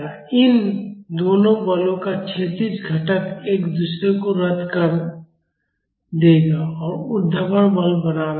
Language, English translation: Hindi, The horizontal component of both of these forces will cancel out each other and the vertical forces remains